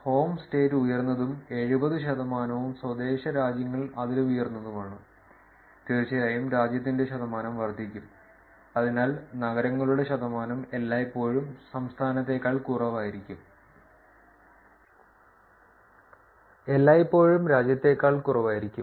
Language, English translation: Malayalam, Home state becomes higher, seventy percent and home countries even higher, of course, the percentage for the country is going to be, so the percentage of city will always be lesser than state, will always be lesser than country